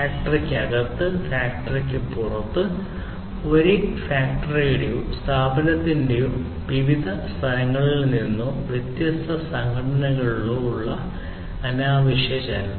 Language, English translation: Malayalam, Unnecessary movement of people from one point to another within the factory, outside the factory, across different locations of the same factory or organization, or between different organizations as the case may be